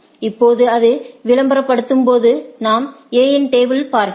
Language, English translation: Tamil, Now, when it advertise say we look at the A’s table right